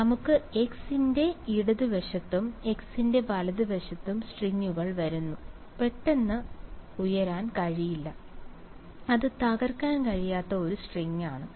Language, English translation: Malayalam, So, let us say just to the left of x prime and just to the right of x prime right there are string that is coming it cannot suddenly shoot up it is a string it cannot break